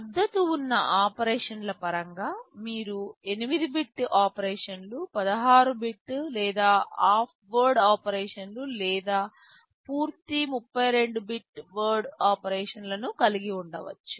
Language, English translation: Telugu, But in terms of the operations which are supported, you can have 8 bit operations, 16 bit or half word operations, or full 32 bit word operations